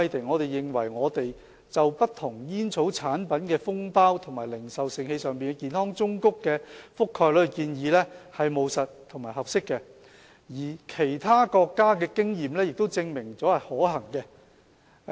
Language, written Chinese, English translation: Cantonese, 我們認為，政府就不同煙草產品的封包及零售盛器上的健康忠告的覆蓋率提出的建議是務實和合適的，而其他國家的經驗亦證明了這是可行的。, We consider the Governments proposal on the coverage of health warnings on the packets or retail containers of various tobacco products practical and appropriate and its feasibility is evidenced by the experience of other countries